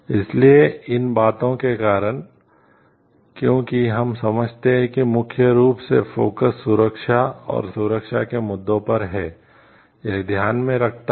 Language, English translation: Hindi, So, because of these things because we understand like that the primarily the focus, is on the safety and security issues it takes into consideration